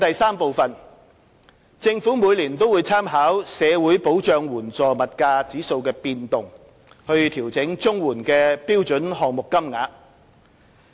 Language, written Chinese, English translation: Cantonese, 三政府每年會參考社會保障援助物價指數的變動調整綜援的標準項目金額。, 3 The Government takes account of the movement of the Social Security Assistance Index of Prices SSAIP and adjusts standard payment rates under the CSSA Scheme on an annual basis